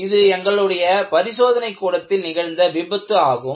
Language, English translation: Tamil, In fact, this was an accident in our laboratory